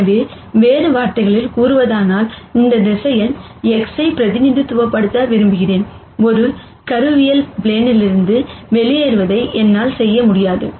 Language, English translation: Tamil, So, in other words I want to represent this vector X, in a tool, I cannot do it exactly projecting out of the plane